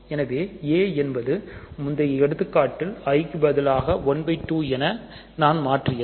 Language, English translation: Tamil, So, A is I am just replacing i by 1 by 2 in the earlier example